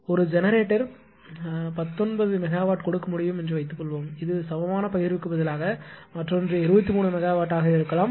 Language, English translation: Tamil, Suppose one generator can give nineteen megawatt another may be 23 megawatt like this instead of equivalent sharing